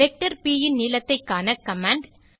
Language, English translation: Tamil, Calculate length of a vector